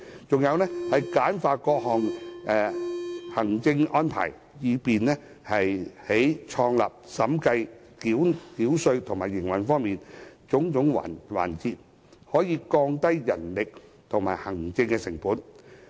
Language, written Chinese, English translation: Cantonese, 再者，簡化各項行政安排，以便在創立、審計、繳稅和營運等種種環節降低人力及行政成本。, Furthermore various administrative arrangements can be streamlined so as to reduce the labour and administrative costs involved in different stages such as business start - up auditing tax payment operation etc